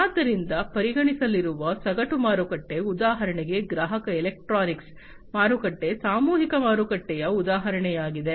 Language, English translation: Kannada, So, the whole market that is going to be considered, for example the consumer electronics market is an example of a mass market